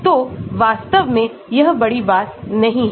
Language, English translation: Hindi, So, it is not a big deal actually